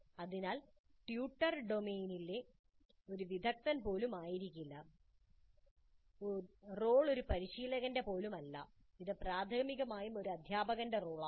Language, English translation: Malayalam, So the tutor may not be even an expert in the domain, the role is not even that of a coach, it is primarily the role of more of a tutor